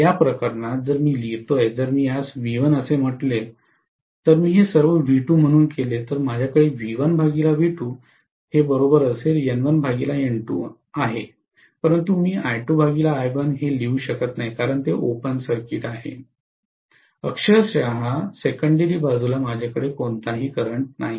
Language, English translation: Marathi, So in this case, if I write, if I may call this as V1, if I make all this as V2, I am going to have V1 by V2 equal to N1 by N2, but I cannot write this is equal to I2 by I1 because it is open circuited, I am not going to have any current on the secondary side literally, yes